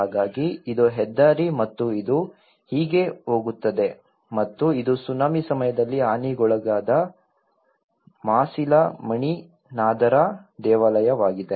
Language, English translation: Kannada, So, this is the highway and it goes like this and this is a Masilamani nadhar temple which caused damage during the tsunami